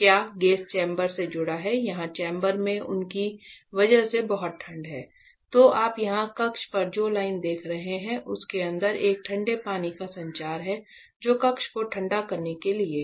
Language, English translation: Hindi, This is the gauge that is connected to the chamber here in the chamber is very very cold because of them; so this line that you are seeing here on the chamber has a cold water circulation inside that is for cooling the chamber; so that is there